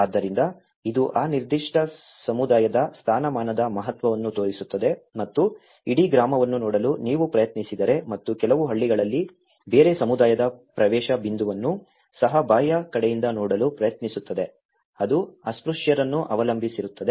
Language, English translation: Kannada, So, it shows the significance of the status of that particular community and who try to look at the whole village and including in some villages even the entry point of a different community also from the external side, it depends on the untouchable